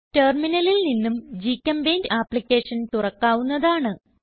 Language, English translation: Malayalam, We can also open GChemPaint application from Terminal